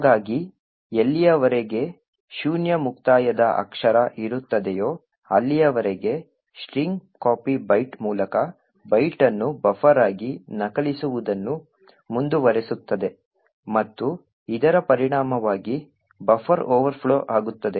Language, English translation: Kannada, So as long as there is no null termination character STR copy will continue to execute copying the byte by byte into buffer and resulting in a buffer overflow